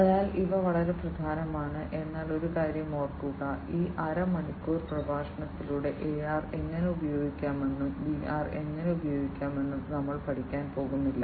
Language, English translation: Malayalam, So, these are very important, but remember one thing that through this half an hour lecture, you are not going to learn about, how to use the AR and how to use VR